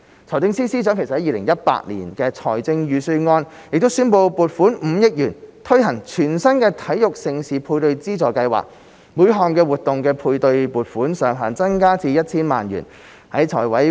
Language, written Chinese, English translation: Cantonese, 財政司司長在 2018-2019 年度財政預算案宣布撥款5億元推行全新的體育盛事配對資助計劃，每項活動的配對撥款上限增加至 1,000 萬元。, The Financial Secretary announced in the 2018 - 2019 Budget an allocation of 500 million to the new Major Sports Events Matching Grant Scheme and that the ceiling of the matching fund would be increased to 10 million for each event